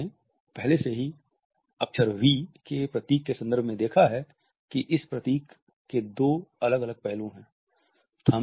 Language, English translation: Hindi, We have looked at the V symbol already; the two different aspects of this symbol